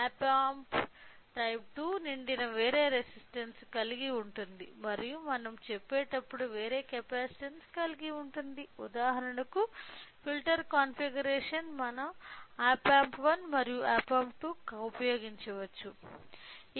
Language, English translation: Telugu, So, there is another thing op amp type 2 full it also contains a different resistance as well as a different capacitances when we are going with the say for example, filter configuration so, we can use either op amp 1 and op amp 2